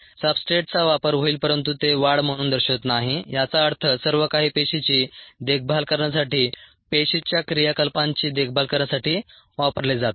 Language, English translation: Marathi, there will be substrate consumption were it doesnt show up as growth, which means everything is going to maintain the cell, maintain the activities of the cell